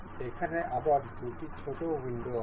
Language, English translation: Bengali, Here again, we have two little windows